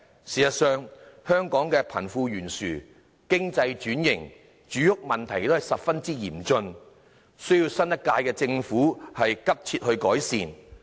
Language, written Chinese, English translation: Cantonese, 事實上，香港的貧富懸殊、經濟轉型和住屋問題仍然十分嚴峻，需要新一屆政府急切改善。, In fact the problems of wealth gap economic restructuring and housing in Hong Kong are very serious requiring urgent improvement by the new - term Government